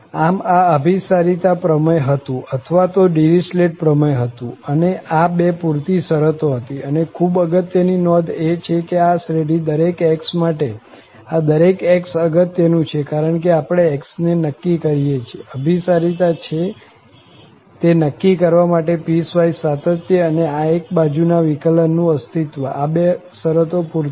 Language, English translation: Gujarati, Well, so, this was the convergence theorem or the Dirichlet theorem and these two are the sufficient condition that is again important to note, that the piecewise continuity and this existence of one sided derivative, these two conditions are sufficient to make sure that this series converges for each x and this each x is also important, because we are fixing x here